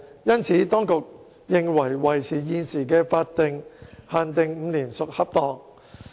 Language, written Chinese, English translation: Cantonese, 因此，當局認為維持現時的法定限定5年屬恰當。, Hence the Administration considers it appropriate to maintain the current statutory limit of five years